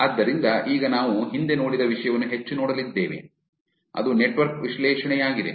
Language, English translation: Kannada, So, now, we are going to look at the topic that we have seen more in the past also which is network analysis